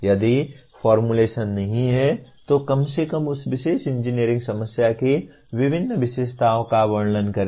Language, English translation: Hindi, If not formulation, at least describe the various features of that particular engineering problem